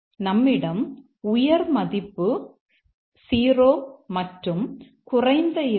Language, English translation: Tamil, And let's say we have digit high is 0 and digit low is not minus 1